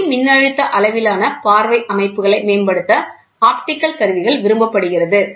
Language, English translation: Tamil, In more advanced optical instruments of photoelectric scale viewing systems are preferred